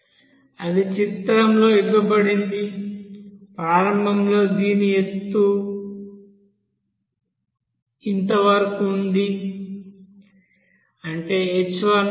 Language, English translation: Telugu, That is given in this picture here, initially up to this height was there, that is at h1